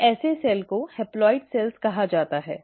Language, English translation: Hindi, So such a cell is called as a haploid cell